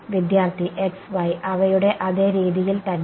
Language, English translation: Malayalam, Same way that x y themselves